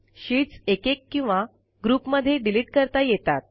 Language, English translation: Marathi, Sheets can be deleted individually or in groups